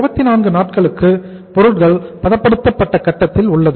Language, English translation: Tamil, For 24 days the material remains at the processed stage